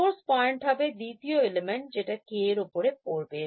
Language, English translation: Bengali, Source point is the second element falling on K